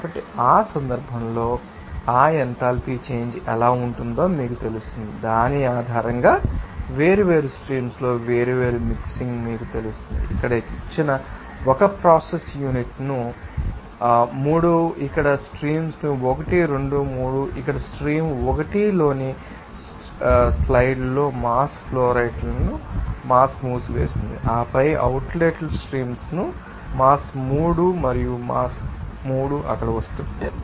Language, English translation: Telugu, So, in that case that this you know how that enthalpy change will be there, based on that you know different mixing in different streams their let us see 1 process unit given here they are 3 you know that streams 1, 2, 3 here for has mentioned in the slides in stream 1 here in a mass flowrate is given mass is coming and then in the outlet streams that the mass 3 and mass 3 are coming out there